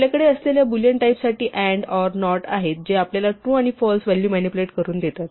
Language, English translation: Marathi, For the Boolean types we have and, or, not, which allows us to manipulate true and false values